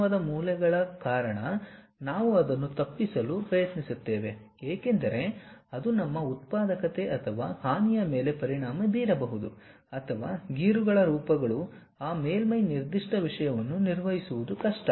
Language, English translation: Kannada, Because, the sharp corners we try to avoid it because, it might affect our productivity or harm or perhaps scratches forms are is difficult to maintain that surface particular thing